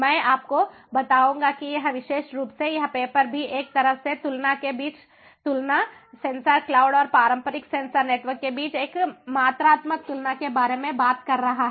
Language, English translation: Hindi, i will tell you that this particular paper also talks about a comparison between, a side by side comparison, a quantitative comparison between sensor cloud and the traditional sensor networks